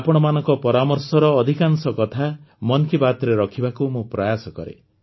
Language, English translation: Odia, My effort will be to include maximum suggestions in 'Mann Ki Baat'